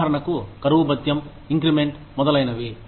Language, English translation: Telugu, For example, dearness allowance, increments, etcetera